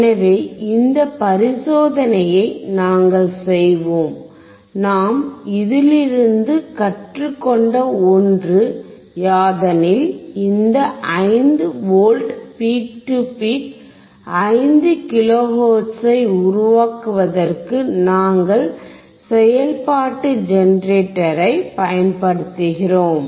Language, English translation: Tamil, So, we will do this experiment so, the one thing that we have now learn is that for generating this 5V peak to peak 5 kilo hertz; for that we are using the function generator